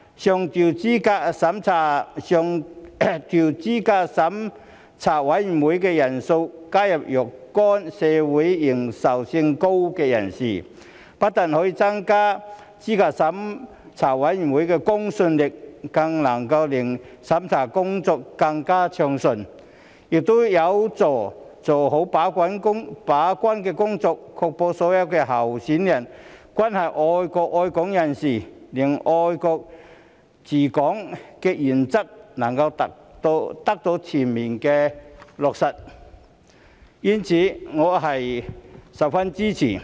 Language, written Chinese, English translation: Cantonese, 上調資審會人數上限，加入若干名社會認受性高的人士，不但可以增加資審會的公信力，更能令審查工作更為順暢，亦有助做好把關工作，確保所有候選人均是愛國愛港人士，令"愛國者治港"原則能得到全面落實，因此我十分支持。, By increasing the upper limit of CERC members and adding a number of people with a high degree of social recognition we will not only enhance the credibility of CERC but also make its review work smoother and help it to play its gate - keeping role properly so as to ensure that all candidates are people who love our country and Hong Kong and the principle of patriots administering Hong Kong can be fully implemented . I am therefore very much supportive of it